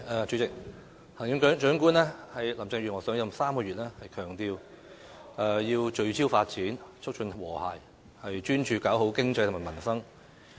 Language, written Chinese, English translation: Cantonese, 主席，行政長官林鄭月娥上任3個月，強調要聚焦發展，促進和諧，專注搞好經濟和民生。, President Chief Executive Carrie LAM has been in office for three months . She emphasizes that she wants to focus on development promote harmony and concentrate on improving the economy and peoples livelihood